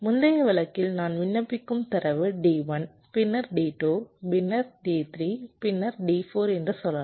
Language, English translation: Tamil, lets say, in the earlier case the data i was applying was d one, then d two, then d three, then d four